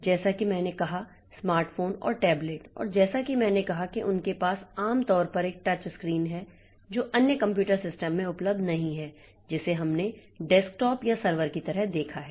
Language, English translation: Hindi, As I said, the smartphones and tablets and as I said that they have generally have a touch screen which is not available in other computer systems that we have looked into like desktop or servers like that